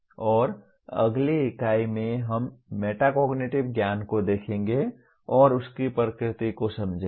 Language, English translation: Hindi, And the next unit, we will try to look at, understand the nature of metacognitive knowledge